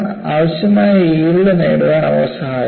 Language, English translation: Malayalam, They help to achieve the required yield strength